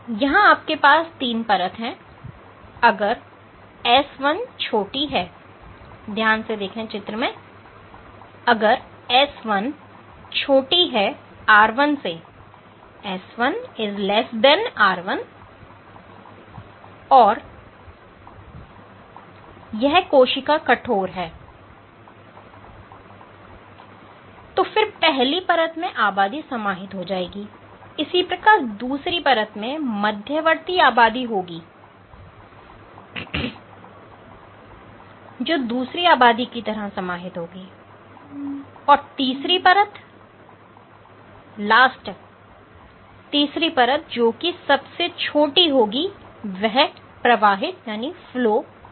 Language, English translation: Hindi, So, if s1 is less than r1 and this cell is stiff then in the first layer one population will get captured; similarly in the second layer you will have this intermediate population which might get captured second or third layer and the smallest ones will flow out